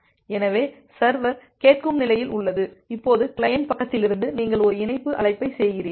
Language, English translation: Tamil, So, the server is in the listen state, now from the client side, you are making a connect call